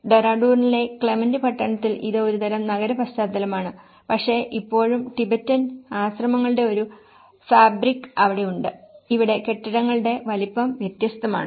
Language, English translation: Malayalam, Whereas in Clement town in Dehradun it is more of a kind of urban setting but still it has a fabric of the Tibetan monasteries and the scale of the buildings is different here